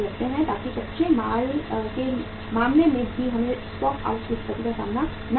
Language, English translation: Hindi, So that we have not to face the stock out situation in case of the raw material also